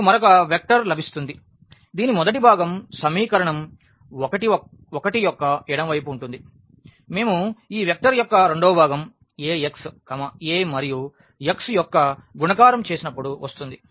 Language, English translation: Telugu, So, we will get another vector whose first component will be this left hand side of the equation 1; the second component of that vector when we do multiplication of this Ax A and x